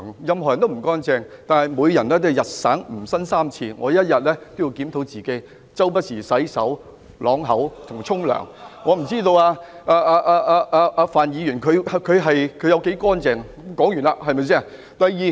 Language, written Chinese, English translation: Cantonese, 任何人都不乾淨，但每個人都應該"吾日三省吾身"，我每天都會自行檢討，不時洗手、漱口和洗澡，我不知道范議員他有多乾淨，這點說完。, I review myself every day and will wash my hands rinse my mouth and wash myself from time to time . I have no idea about how clean Mr FAN is . I am done with this point